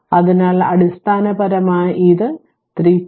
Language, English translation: Malayalam, So, basically it will be your 3